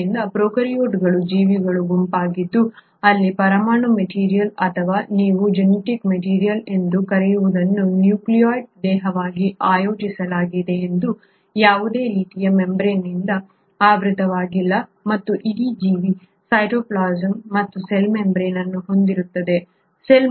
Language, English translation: Kannada, So prokaryotes are a group of organisms where the nuclear material or the what you call as the genetic material is organised as a nucleoid body, it is not surrounded by any kind of a membrane and the whole organism consists of cytoplasm and a cell membrane